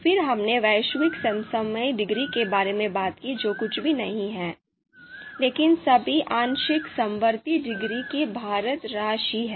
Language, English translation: Hindi, Then we talked about the global dis global concordance degree which is nothing but the weighted sum of all the partial concordance degrees